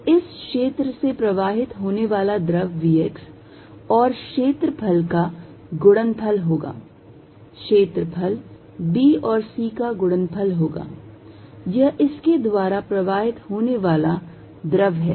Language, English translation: Hindi, So, fluid passing through this is going to be v x times the area, area is going to be b times c, this is a fluid passing through it